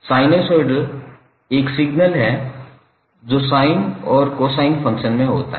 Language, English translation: Hindi, Sinosoid is a signal that has the form of sine or cosine functions